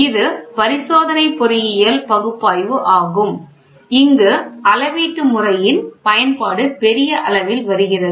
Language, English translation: Tamil, So, here this is Experimental Engineering Analysis where the application of a measuring system comes in a big way